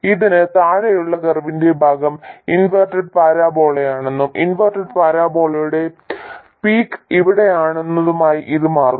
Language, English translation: Malayalam, It turns out that the part of the curve below this is that inverted parabola and the peak of that inverted parabola happens to be exactly here